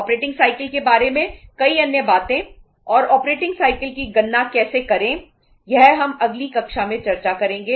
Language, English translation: Hindi, Many other things regarding the uh operating cycle and how to calculate the operating cycle we will discuss in the next class